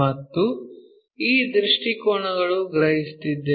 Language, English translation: Kannada, And, these are the views what we are perceiving